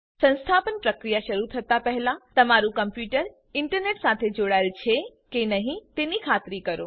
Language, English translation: Gujarati, Before starting the installation process please make sure that your computer is connected to the internet